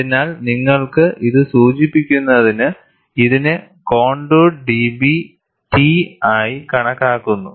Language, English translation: Malayalam, So, in order to denote, that you have this as contoured D B T